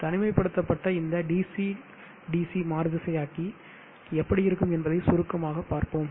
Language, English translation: Tamil, Let us briefly look at how this DC DC converter with isolation looks like